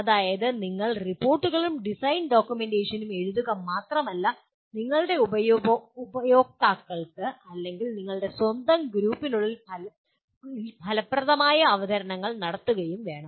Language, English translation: Malayalam, That is you should not only write reports and design documentation and make effective presentations to again your customers or within your own group